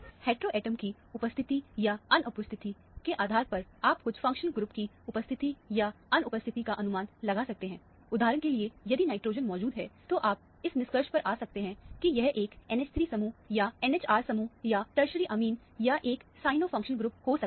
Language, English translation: Hindi, Depending on the presence, or absence of hetero atom, you can infer the presence, or absence of certain functional group; for example, if nitrogen is present, you can come to the conclusion that, it might be an NH 3 group, or NH R group, or a tertiary amine, or a cyano functional group